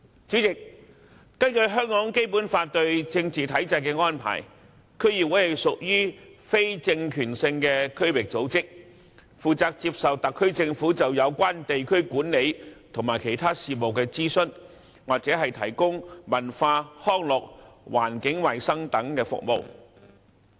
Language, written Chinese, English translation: Cantonese, 主席，根據《基本法》對政治體制的安排，區議會屬於非政權性的區域組織，接受特區政府就有關地區管理和其他事務的諮詢，或負責提供文化、康樂、環境衞生等服務。, President according to the arrangement for the political structure in the Basic Law DCs are not organs of political power and they are consulted by the Government of the Hong Kong Special Administrative Region SAR on district administration and other affairs or responsible for providing services in such fields as culture recreation and environmental sanitation